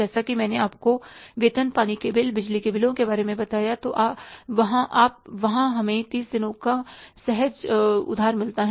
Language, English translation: Hindi, As I told you, salaries, water wells, electricity bills, they there we get the spontaneous credit of 30 days